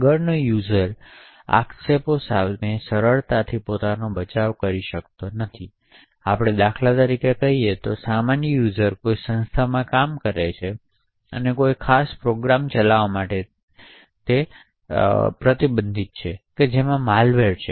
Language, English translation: Gujarati, Further user cannot easily defend himself against allegations, so let us say for example that a normal user working in an organisation and he happens to run a particular program which has a malware